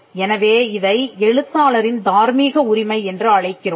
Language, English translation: Tamil, So, this is similar to the moral right of an author